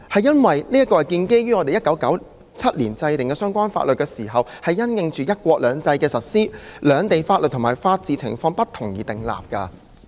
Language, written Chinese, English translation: Cantonese, 這項規定是我們在1997年制訂相關法律時，因應"一國兩制"的實施、兩地法律和法治情況不同而訂立的。, This provision was formulated in 1997 along with relevant laws having regarded to the implementation of one country two systems and the differences in the legal system and the rule of law in Hong Kong and the Mainland